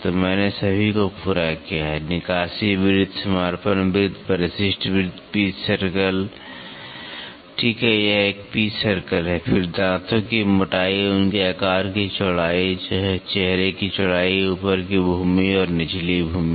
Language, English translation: Hindi, So, I have covered all so, clearance circle, dedendum dedendum circle, addendum addendum circle, pitch circle, right this is a pitch circle so, then tooth thickness, width of their shape, face width, top land and bottom land